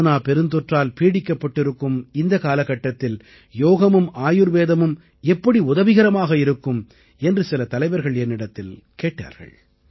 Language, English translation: Tamil, Many leaders asked me if Yog and Ayurved could be of help in this calamitous period of Corona